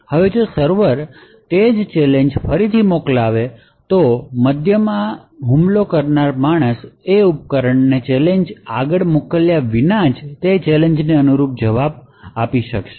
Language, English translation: Gujarati, Now if the server actually sent the same challenge again, the man in the middle the attacker would be able to actually respond to that corresponding challenge without actually forwarding the challenge to the device